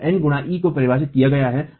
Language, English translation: Hindi, So, n into E is defined